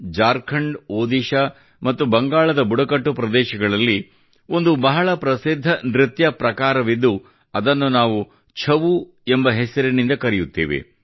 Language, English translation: Kannada, There is a very famous dance in the tribal areas of Jharkhand, Odisha and Bengal which is called 'Chhau'